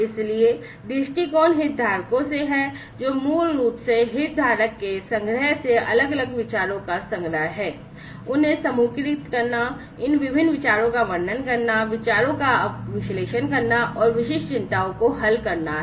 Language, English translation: Hindi, So, viewpoints are from the stakeholders, which are basically the collection of different ideas from the stakeholder’s collection, grouping of them, describing these different ideas, analyzing the ideas, and solving the set of specific concerns